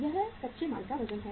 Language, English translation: Hindi, This is the weight of raw material